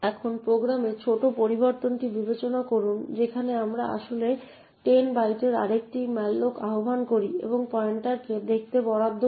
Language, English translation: Bengali, Now consider the small change in the program where we actually invoke another malloc of 10 bytes and allocate the pointer to see